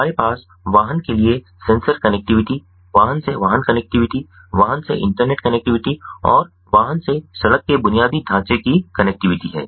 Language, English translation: Hindi, we have the concepts of vehicle to sensor connectivity, vehicle to vehicle connectivity, vehicle to internet connectivity and vehicle to road infrastructure connectivity